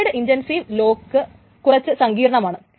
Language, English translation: Malayalam, So the shared intensive lock is a little bit complicated